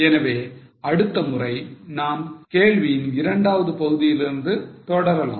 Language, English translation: Tamil, So, next time we will continue with the second part of the question